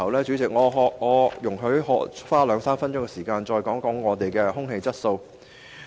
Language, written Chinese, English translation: Cantonese, 主席，容許我花兩三分鐘時間談談另一個環保範疇：空氣質素。, President let me spend a couple of minutes to discuss another area in environmental conservation air quality